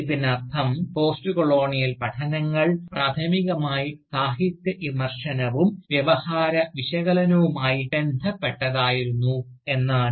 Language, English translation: Malayalam, And, this has meant, that Postcolonial studies, had initially concerned primarily with Literature Criticism, and with Discourse Analysis